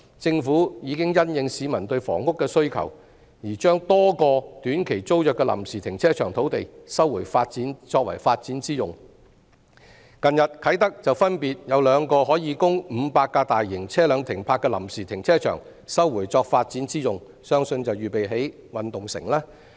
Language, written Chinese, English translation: Cantonese, 政府已經因應市民對房屋的需求，而將多個短期租約的臨時停車場土地收回作發展之用；近日啟德分別有兩個可供500架大型車輛停泊的臨時停車場，被收回作發展之用，相信是預備興建體育園區。, Responding to the housing demand of the public the Government has already resumed a number of sites which were used as temporary car parks on short - term tenancies for development purpose . Recently two temporary car parks in Kai Tak which could accommodate 500 large vehicles were resumed for development purpose possibly in preparation for the construction of the Multi - purpose Sports Complex